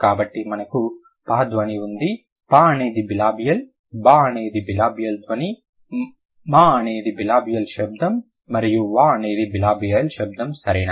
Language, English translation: Telugu, So, we have per sound, per is a bilibial, bu is a bilibial sound, mu is a bilibial sound, ma is a bilibial sound and wae is a bilibial sound